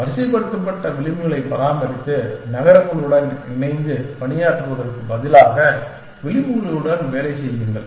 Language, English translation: Tamil, Maintain a sorted set of edges and work with edges instead of working with cities essentially